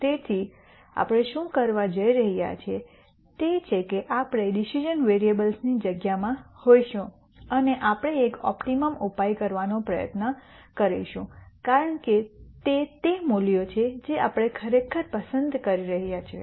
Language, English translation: Gujarati, So, what we are going to do is we are going to be in the space of decision variables and we are going to try and find an optimum solution because those are the values that we are actually choosing